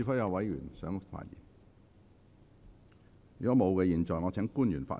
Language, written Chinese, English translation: Cantonese, 如果沒有，我現在請官員發言。, If not I now call upon the public officers to speak